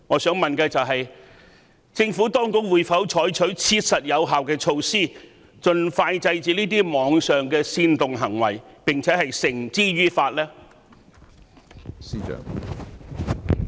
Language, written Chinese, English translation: Cantonese, 請問政府當局會否採取切實有效的措施，盡快制止這類網上煽動暴力的行為，並將違法者繩之於法呢？, Will the Administration adopt effective measures to arrest such online incitement to violence and bring the offenders to justice?